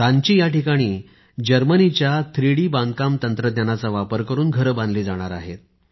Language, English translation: Marathi, In Ranchi houses will be built using the 3D Construction System of Germany